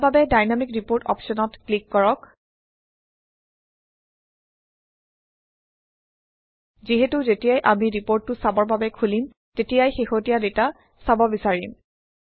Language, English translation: Assamese, For this, let us click on the Dynamic Report option, as we would always like to see the latest data, whenever we open the report for viewing